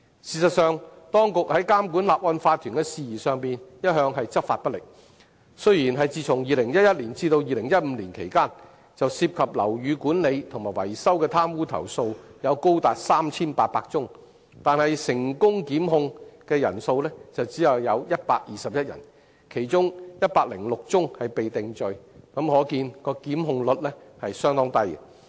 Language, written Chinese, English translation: Cantonese, 事實上，當局在監管法團的事宜上一向執法不力，雖然在2011年至2015年期間，就涉及樓宇管理及維修的貪污投訴有高達 3,800 宗，但成功檢控人數只有121人，其中106宗被定罪，可見檢控率相當低。, In fact the authorities have been undertaking perfunctory enforcement of law regarding the regulation of OCs . From 2011 to 2015 there were 3 800 complaints about corruption in building management and maintenance but only 121 people were successively prosecuted in which only 106 cases were convicted indicating a pretty low prosecution rate